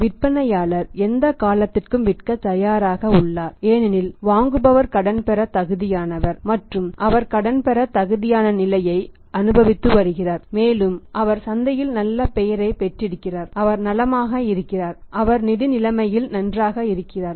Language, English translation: Tamil, Seller is ready to sell for any period because buyer is of a good credit worthy is enjoys a good credit worthy position and he is having a good reputation in the market is well off, he is financial well off buyer is there is no problem to him